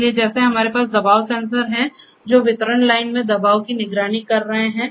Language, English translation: Hindi, So, like we have pressure sensors which are monitoring pressure in the distribution line